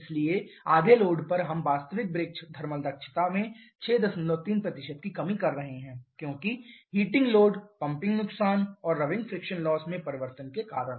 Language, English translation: Hindi, 3% reduction in the actual brake thermal efficiency because of the changes in the heating load the pumping loss and the rubbing friction loss